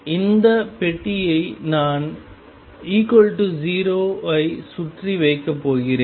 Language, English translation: Tamil, The same box I am going to put around x equals 0